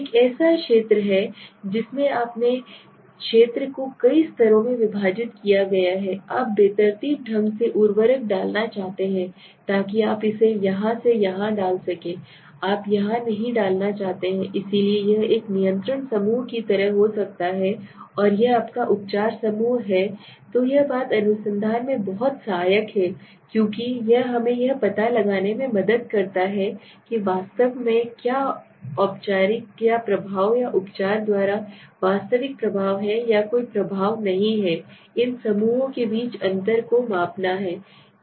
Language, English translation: Hindi, So let us say let us say there is a field in which you have divided the field into several levels right and you want to randomly put in the let us say fertilizer so you may put it here and here and you do not want to put here so this may be like a control group and this is your treatment group right so this thing is very helpful in research because it helps us to find out what exactly is the effect of the treatment or is there any real effect of the treatment or there is no effect by just measuring the difference between this and this group and this group okay